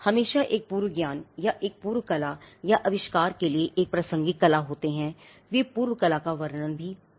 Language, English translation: Hindi, There is always a prior knowledge or a prior art or a relevant art for the invention, they could be description of prior art